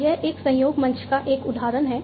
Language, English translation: Hindi, So, this is an example of a collaboration platform